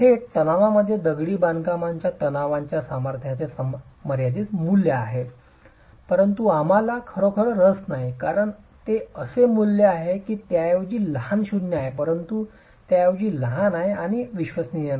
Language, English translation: Marathi, There is a finite value of the masonry tension strength in direct tension, but we're really not interested because that's a value that is rather small, non zero but rather small and not dependable